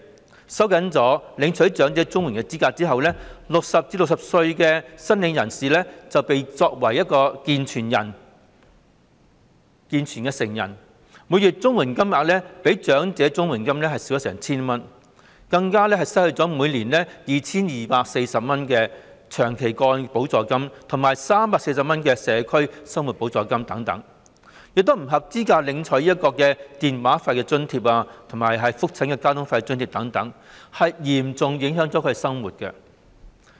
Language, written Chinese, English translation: Cantonese, 在收緊領取長者綜援的資格後 ，60 歲至64歲的申請人會視作"健全成人"，每月的綜援金額較長者綜援金額少了足足 1,000 元，更會失去每年 2,240 元的長期個案補助金和每月340元的社區生活補助金等，亦不再符合資格領取電話費津貼和覆診交通津貼等，嚴重影響了他們的生活。, After the eligibility for receiving elderly CSSA is tightened applicants between 60 and 64 years of age will be regarded as able - bodied adults and their monthly rate of CSSA is reduced by as much as 1,000 of that of elderly CSSA . Moreover they will also lose the annual 2,240 in long - term supplement the monthly 340 in Community Living Supplement and so on and they will not be eligible for receiving the grant to cover monthly telephone charges or the grant for fares to and from clinic either so their lives will be seriously affected